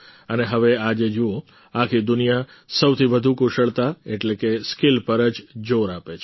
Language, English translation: Gujarati, And now see, today, the whole world is emphasizing the most on skill